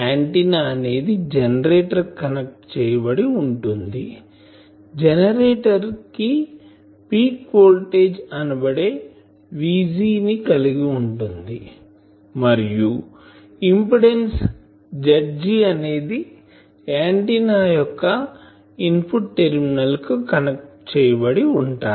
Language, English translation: Telugu, So, if this is an antenna it is connected to a generator, the generator is having a voltage peak voltage V G and, generator impedance is Z g that is connected to these so these two terminals of the input terminals of the antenna